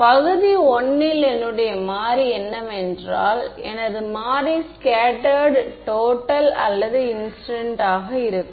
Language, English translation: Tamil, In region I my variable is the what is my variable scattered total or incident